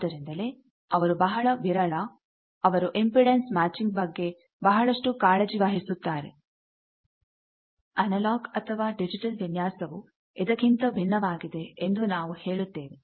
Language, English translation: Kannada, That is why they are very sparse, they take a lot of care for this impedance matching whereas, we can say that the analogue or digital designs are indifferent to that